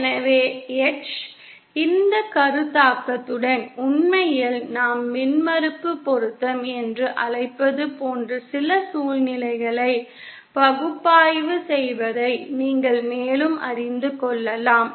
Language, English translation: Tamil, So with this concept, h with this concept with this concept actually we can further you know analyze some situations like what we call impedance matching